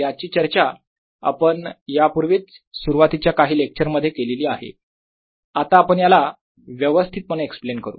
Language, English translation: Marathi, this is something we have already talked about in first few lectures but now will explain it further